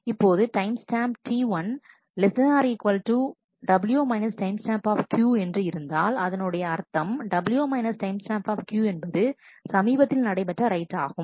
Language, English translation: Tamil, Now, if that the timestamp of T i is less than equal to W timestamp Q which means that W times stamp Q is the latest write